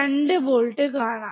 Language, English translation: Malayalam, 2 volts at the output